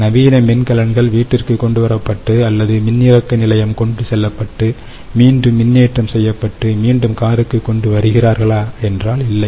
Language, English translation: Tamil, ah, the modern batteries are brought home or taken to a charging station where they are charged again, recharged again and then brought back into the car